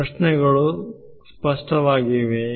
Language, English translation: Kannada, The questions clear